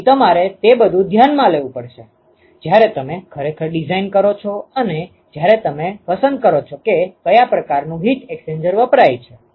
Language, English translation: Gujarati, So, you have to take all that into account, when you actually design and when you choose what kind of heat exchanger is used, ok